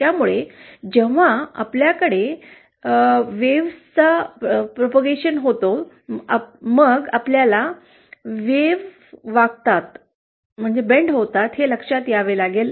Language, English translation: Marathi, So when we have wave propagation, then we have to come across bending